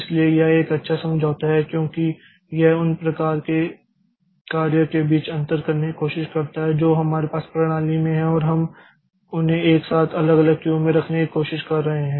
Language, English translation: Hindi, So, this is a good compromise because it tries to, it tries to differentiate between the types of jobs that we have in the system and we are trying to put them in altogether different Q